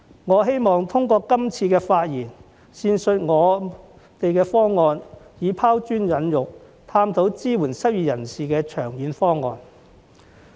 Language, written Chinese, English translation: Cantonese, 我希望通過今次發言闡述我們的方案，以拋磚引玉，探討支援失業人士的長遠方案。, Through elaborating on our proposal in this speech I seek to throw a sprat to catch a mackerel and explore a long - term proposal for supporting the unemployed